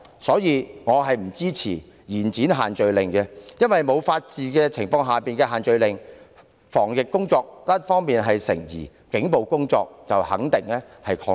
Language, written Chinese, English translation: Cantonese, 因此，我不支持延展限聚令修訂期限。因為沒有法治之下的限聚令，防疫工作一方面成疑，警暴則肯定會擴大。, I therefore do not support the extension of the scrutiny period because when the rule of law cannot be upheld it will be doubtful if the purpose of epidemic prevention can be achieved while the problem of police brutality will definitely deteriorate